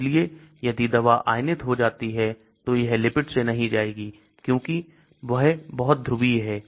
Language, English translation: Hindi, So if the drug gets ionized, it will not go through the lipid because they are very polar